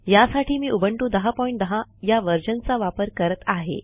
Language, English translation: Marathi, For this purpose, I am using Ubuntu 10.10